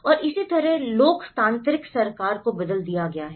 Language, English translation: Hindi, And similarly, the theocratic government has been changed